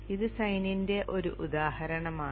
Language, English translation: Malayalam, This is an example of the sign